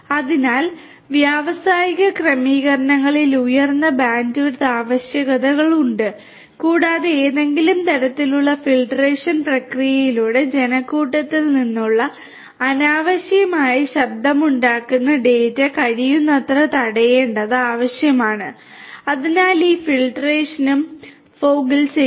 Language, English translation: Malayalam, So, high bandwidth requirements are also there in the industrial settings and also it is required to prevent as much as possible the unnecessary noisy data from the crowd through some kind of a filtration process so this filtration can also be done at the fog